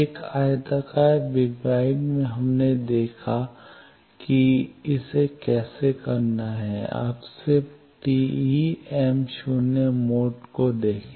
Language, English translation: Hindi, In a rectangular waveguide, we have seen how to do it now just look at the TE m0 mode